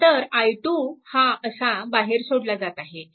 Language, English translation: Marathi, Now, similarly i 2 is equal to i 2 is here